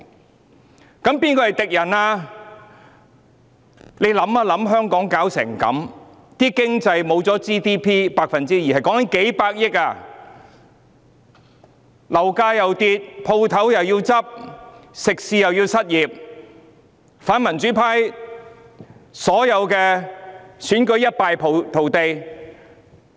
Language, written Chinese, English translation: Cantonese, 大家思考一下，香港弄至如斯地步，在經濟方面 GDP 減少了 2%， 多達數百億元，樓價下跌、店鋪倒閉、食肆員工失業及反民主派在所有選舉中一敗塗地。, Let us examine why Hong Kong has developed to such a state . On the economic front GDP has dropped by 2 % amounting to tens of billions of dollars . Property prices fell shops closed down restaurant staff lost their jobs and the anti - democracy camp suffered a landslide defeat in various elections